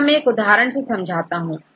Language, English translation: Hindi, So, I will show one example here